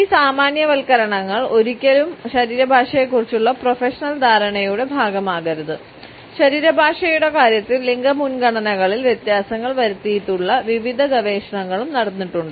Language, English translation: Malayalam, These generalizations should never be a part of any professional understanding of body language there have been various researchers also in which differences in gender preferences in terms of body language have been committed on